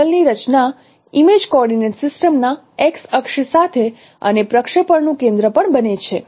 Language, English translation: Gujarati, The plane formed with x axis of image coordinate system and also the center, center of projection